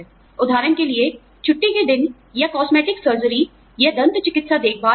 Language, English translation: Hindi, For example, the vacation days, or cosmetic surgery, or dental care, etc